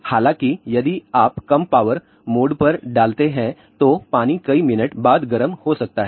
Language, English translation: Hindi, However, if you put on the lower power mode, the water may get heated after several minutes